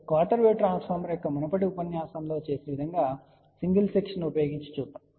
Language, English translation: Telugu, So, let us see if you use single section which we had done in the previous lecture of a quarter wave transformer